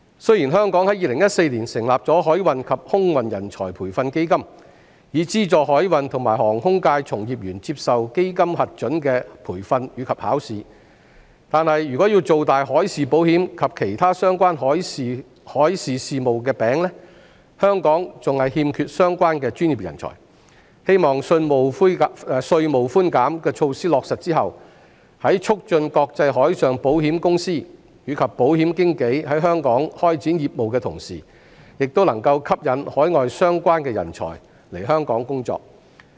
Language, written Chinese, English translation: Cantonese, 雖然香港已在2014年成立海運及空運人才培訓基金，以資助海運和航空界從業員接受基金核准的培訓及考試，但如要造大海事保險及其他相關海事事務的"餅"，香港仍然欠缺相關專業人才，希望在落實稅務寬減措施後，在促進國際海上保險公司及保險經紀在香港開展業務的同時，也能夠吸引海外相關人才來港工作。, Although the Maritime and Aviation Training Fund was set up in 2014 to subsidize maritime and aviation practitioners to receive training in courses approved by the Fund and to take examination Hong Kong still lacks the professionals concerned to expand the market for marine insurance and other maritime affairs . After the implementation of the tax concessions it is hoped that international marine insurance companies and insurance brokers will be attracted to start business in Hong Kong and at the same time overseas talents will be attracted to work in Hong Kong